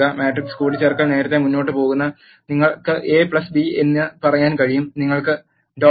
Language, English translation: Malayalam, Matrix addition is straight forward you can say A plus B you will get the output